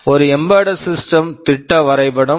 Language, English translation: Tamil, This is a schematic diagram of an embedded system